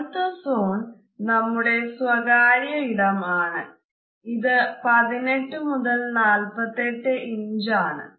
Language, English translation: Malayalam, Next zone is of our personal space, which is somewhere from 18 to 48 inches